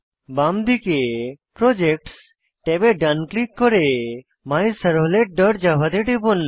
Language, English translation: Bengali, So on the left hand side, in the Projects tab right click on MyServlet dot java